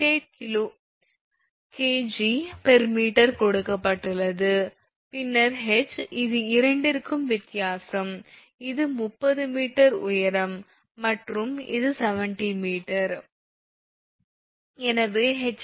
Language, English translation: Tamil, 8 kg per meter, that is also given and then h that is difference between these two, this is 30 meter height and this is 70 meter